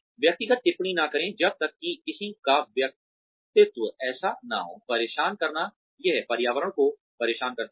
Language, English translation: Hindi, Do not make personal comments, unless somebody's personality is so, disturbing that, it disturbs the environment